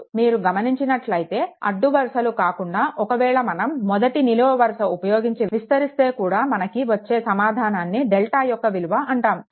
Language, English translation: Telugu, If you see that rather than your, rather than rows if you expand this along this first column, right that also will that also will get that your what you call the value of delta